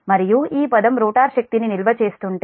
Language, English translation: Telugu, and if this term the rotor is storing energy